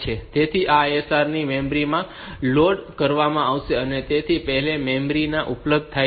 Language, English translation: Gujarati, So, these isrs are to be loaded into the memory they are already available in the memory